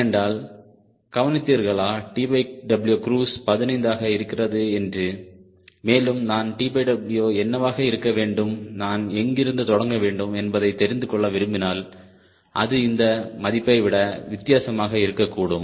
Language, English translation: Tamil, because notice that if t by w cruise is fifteen and if i want to know what should be t by w, where from i should start, then that it will be different than this value